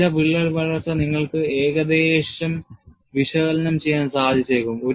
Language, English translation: Malayalam, Some crack growth, you can possibly, analyze approximately